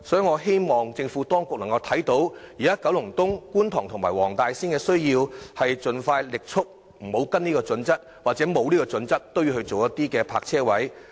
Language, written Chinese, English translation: Cantonese, 我希望當局鑒於現時九龍東、觀塘及黃大仙的需要，盡快放棄遵循《規劃標準》，按實際需要加設泊車位。, In view of the current needs of Kowloon East Kwun Tong and Wong Tai Sin I hope that the authorities will stop sticking to HKPSG and expeditiously provide more parking spaces based on the actual needs